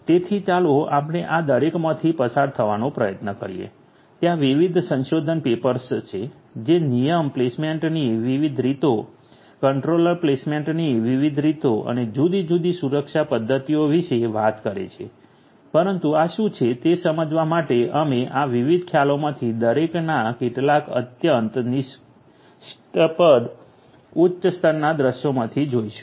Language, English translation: Gujarati, So, let us try to go through each of these there are different different research papers that talk about different ways of rule placement, different ways of controller placement, different security mechanisms and so on, but we will go through some of these very naive high level views of each of these different concepts to make us understand what these are